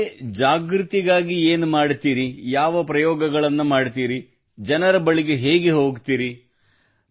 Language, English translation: Kannada, And what do you do for awareness, what experiments do you use, how do you reach people